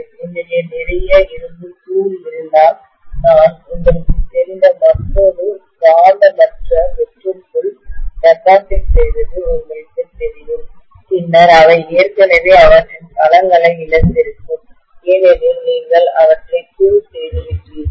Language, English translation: Tamil, If I have a lot of powdered iron, I just you know deposit into another non magnetic hollow you know core, then all of them would have lost their domains already because you have powdered them